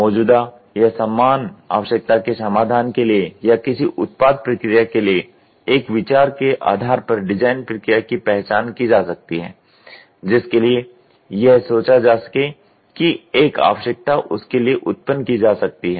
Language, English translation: Hindi, The design process can be identified based on the idea for a solution to an existing or identical need or form from an idea for a product process for which it is thought a need can be generated